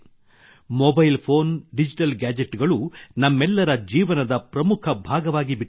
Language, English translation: Kannada, Mobile phones and digital gadgets have become an important part of everyone's life